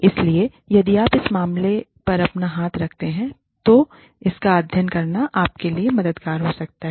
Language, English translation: Hindi, So, if you can lay your hands, on that case study, it just might be helpful for you